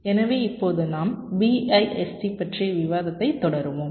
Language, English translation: Tamil, so now we will be continuing with our discussion on bist